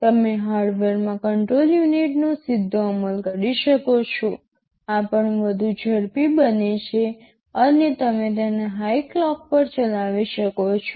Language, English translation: Gujarati, You can directly implement the control unit in hardware, if you do it in hardware itthis also becomes much faster and you can run it at a higher clock